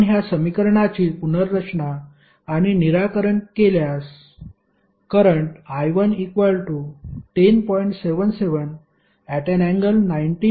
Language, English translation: Marathi, If you rearrange and solve this equation the current I 1 which you will get is 10